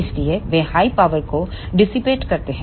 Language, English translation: Hindi, So, they dissipate high power